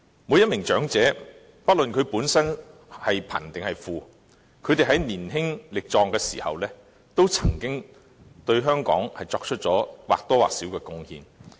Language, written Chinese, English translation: Cantonese, 每名長者不論其本身是貧是富，在年輕力壯時，皆曾經對香港作出或多或少的貢獻。, All elderly persons regardless of their financial status made certain contributions to Hong Kong during their youthful days